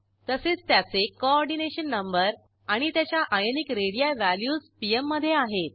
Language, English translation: Marathi, * Its Coordination number and * Ionic radii value in pm